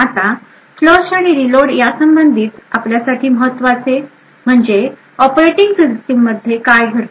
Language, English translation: Marathi, Now, important for us with respect to the flush and reload is what happens in the operating system